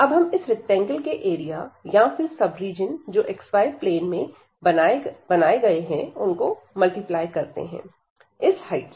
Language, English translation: Hindi, And there we take this product of the area of this rectangle or the sub region in the x, y plane and multiplied by this height